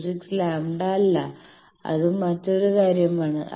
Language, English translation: Malayalam, 26 lambda it is some other thing